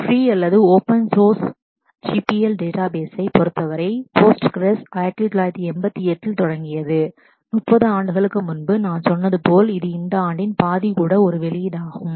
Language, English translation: Tamil, And in terms of the ma free or open source GPL databases Postgres started in 1988 about 30 years back and as I said, this is this is has a release even half of this year